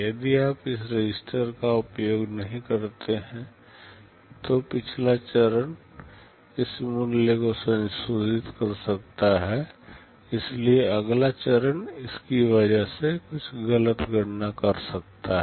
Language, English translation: Hindi, If you do not use this registers, then the previous stage can go and modify this value, so the next stage might carry out some wrong computation because of that